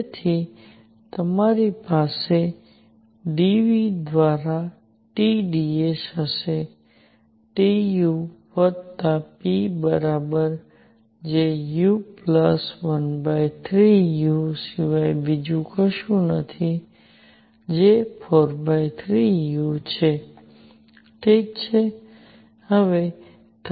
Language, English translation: Gujarati, So, you going to have T dS by d V, T is equal to U plus p which is nothing but U plus 1 third U which is 4 thirds U, alright